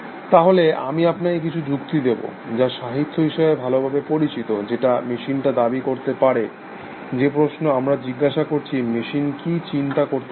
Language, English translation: Bengali, So, let me give you some arguments, which are well known in literature, which claim that machines can, the question we asking is, can the machine think, can machine think